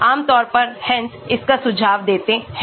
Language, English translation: Hindi, Generally, Hansch suggest this